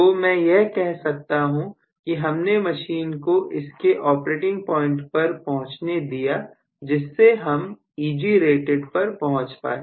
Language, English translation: Hindi, So, I would say that now I have allowed the machine to reach its own operating point because of which we have reach Egrated